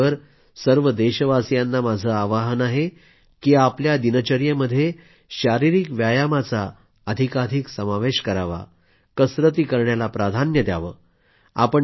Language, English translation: Marathi, Also concomitantly, I appeal to all countrymen to promote more physical activity in their daily routine